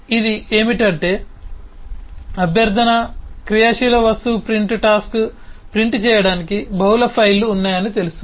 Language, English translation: Telugu, what it does is the requesting the active object, the print task, will know that well, there are multiple files to print